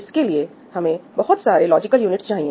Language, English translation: Hindi, This requires multiple logical units